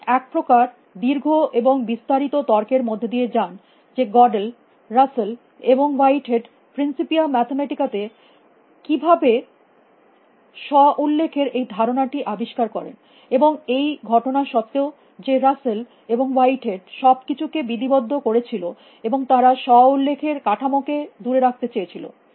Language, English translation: Bengali, He sought of goes through a long detailed argument of how Godel discovered this idea of self reference in Rusell and Whitehead Principia Mathematica, and this in spite of the fact that Rusell and Whitehead went out to formalize everything, and they wanted to keep away self referential structure